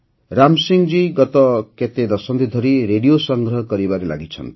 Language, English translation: Odia, Ram Singh ji has been engaged in the work of collecting radio sets for the last several decades